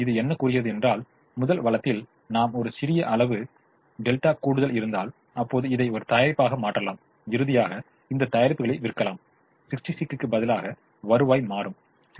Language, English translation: Tamil, it tells me that if i have a small delta extra in the first resource, i can now convert this delta into a product and finally sell these product and the revenue instead of sixty six will become sixty six plus two delta